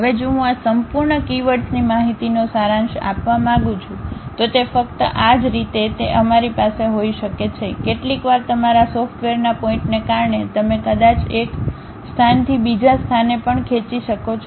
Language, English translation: Gujarati, Now, if I would like to summarize this entire keywords information, it is not only this way we can have it, sometimes because of your software issues you might be dragging from one location to other location also you might be leaving